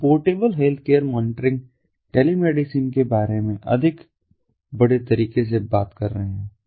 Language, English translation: Hindi, we are talking about portable healthcare, monitoring, telemedicine in a much more bigger way